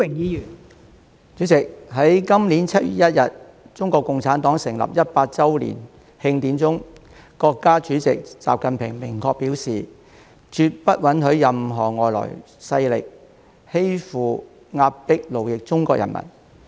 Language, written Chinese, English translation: Cantonese, 代理主席，在今年7月1日，中國共產黨成立100周年慶典中，國家主席習近平明確表示，絕不允許任何外來勢力欺負、壓迫、奴役中國人民。, Deputy President during the celebrations of the 100th anniversary of the founding of the Communist Party of China on 1 July this year President XI Jinping made it clear that he would definitely not allow any foreign power to bully oppress or enslave the Chinese people